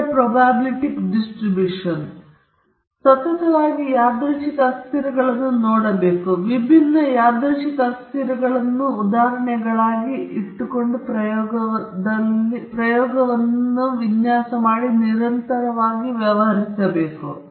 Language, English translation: Kannada, So we will be looking at continuously varying random variables, there may also be examples of discrete random variables, but in our design of experiments we deal with usually continuously varying quantities